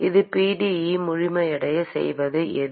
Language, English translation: Tamil, What makes a pde complete